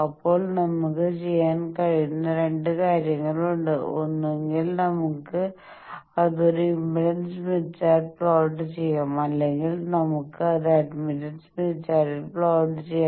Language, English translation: Malayalam, Now there are two things we can do; either we can plot it on an impedance smith chart, or we can plot it on admittance smith chart